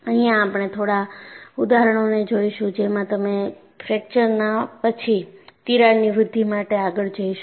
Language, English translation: Gujarati, In fact, we would see a few examples, where you see a crack growth followed by fracture